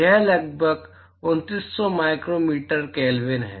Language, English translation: Hindi, It is about 2900 micro meter Kelvin